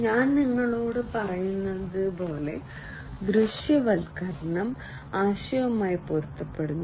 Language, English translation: Malayalam, Visualization as I was telling you corresponds to the ideation